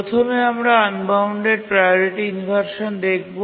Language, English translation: Bengali, First, let's look at priority inversion